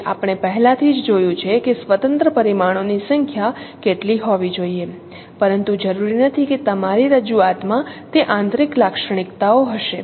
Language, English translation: Gujarati, So we have already seen how many number of independent parameters should be there, but not necessarily your representation will have that intrinsic characteristics, not necessarily